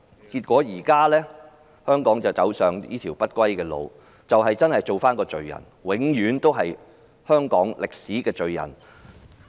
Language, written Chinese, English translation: Cantonese, 結果，香港現已走上這條不歸路，她要做一個罪人，永遠是香港的歷史罪人。, Eventually Hong Kong has gone down such a path of no return . She has to be a sinner―forever a sinner in the history of Hong Kong